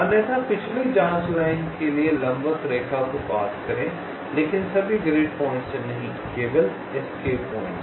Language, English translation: Hindi, otherwise, pass a perpendicular line to the previous probe line, but not at all grid points, only at the escape points